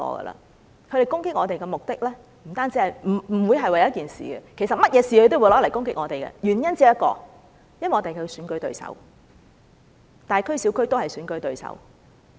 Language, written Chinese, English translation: Cantonese, 他們攻擊我們的目的，不會是為了一件事，其實無論任何事，他們都會用來攻擊我們，原因只有一個，因為我們是他們的選舉對手。, Their criticisms against us are never directed at the matter in question . In fact they will make use of any matter to attack us and there is only one reason for that . It is because we are their rivals in elections competing against them in both big and small districts